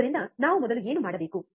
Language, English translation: Kannada, So, what we have to do first